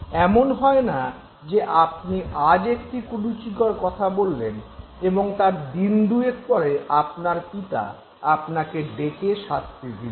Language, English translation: Bengali, It is not that you for instance use a slang right now and after two days your father calls you and then punishes you, scolds you